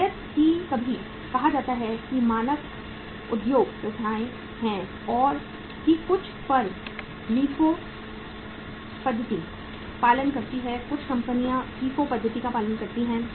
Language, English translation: Hindi, Sometime say there are the standard industry practices that some firms follow the LIFO method, some firms follow the FIFO method